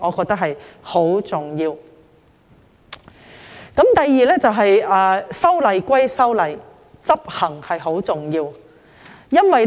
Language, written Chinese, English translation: Cantonese, 第二點是，修例歸修例，執行是很重要的。, The second point is that after making legislative amendments enforcement is also very important